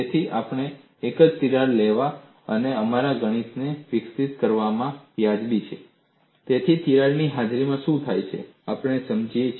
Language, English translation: Gujarati, So, we are justified in taking a single crack and develop our mathematics so that we understand what happens in the presence of a crack